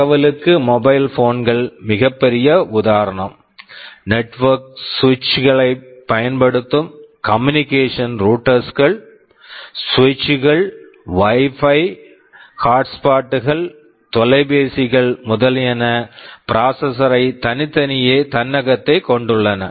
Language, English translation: Tamil, For communication the mobile phones is the biggest example; you think of the network switches that we use for communication routers, switch, Wi Fi hotspots, telephones there are processors inside each of them today